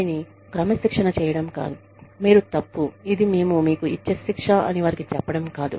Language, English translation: Telugu, It is not to tell them, you are wrong, this is the punishment, we will give you